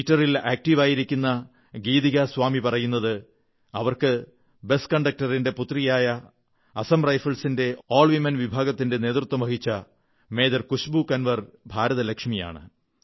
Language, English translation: Malayalam, Geetika Swami, who is active on Twitter, says that for her, Major Khushbu Kanwar, daughter of a bus conductor, who has led an all women contingent of Assam Rifles, is the Lakshmi of India